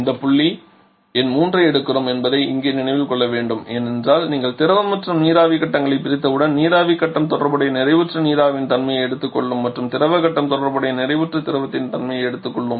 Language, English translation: Tamil, We have to remember here that we are picking up this point number 3 because once you have separated liquid and vapour phases the vapour phase will assume the property of the corresponding saturated vapour and liquid phase will assume the property of the corresponding saturated liquid